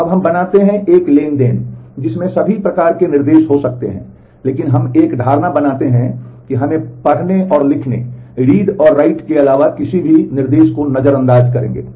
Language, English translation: Hindi, Now, we make now a transaction may have all varied kinds of instructions, but we make an assumption that we will ignore anything other than any instruction other than the read and write instruction